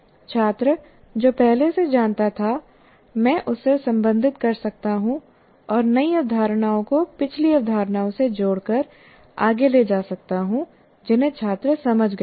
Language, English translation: Hindi, So, I can relate what the student already knew and take it forward and linking the new concepts to the previous concepts the student has understood